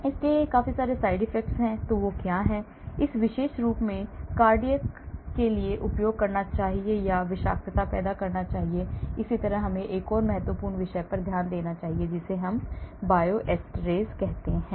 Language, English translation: Hindi, And what are the side effects it should cuse especially to cardiac or create toxicity and so on , Let us look at another important subject that is called Bioisosteres